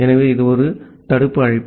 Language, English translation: Tamil, So it is a blocking call